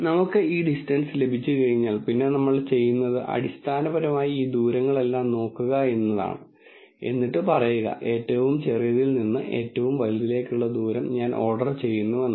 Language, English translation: Malayalam, Once we have this distance then what we do, is basically we look at all of these distances and then say, I order the distances from the smallest to the largest